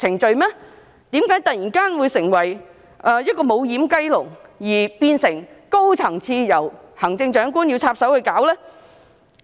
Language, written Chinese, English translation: Cantonese, 為何會突然成為"無掩雞籠"，變成高層次的問題，需要由行政長官插手解決呢？, Why does it suddenly become a doorless chicken coop and escalate to a high - level issue which needs the Chief Executive to step in to resolve? . LS was not created by us